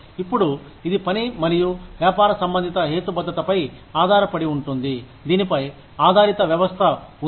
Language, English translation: Telugu, Now, this is based on, work and business related rationale, on which, the system is based